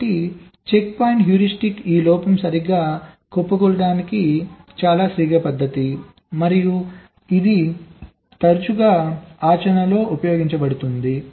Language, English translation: Telugu, so checkpoint heuristic is a very quick method to do this fault collapsing right, and this is often used in practice